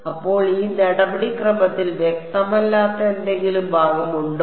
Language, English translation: Malayalam, So, is there any part of this procedure which is not clear